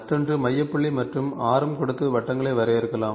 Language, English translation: Tamil, The other one is, you can define circles by giving centre point and radius